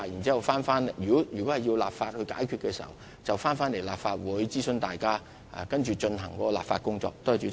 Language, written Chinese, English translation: Cantonese, 如果有需要立法，屆時便會在立法會進行諮詢，然後展開立法工作。, In case there is a need to enact legislation the Legislative Council will be consulted before we proceed with the legislative work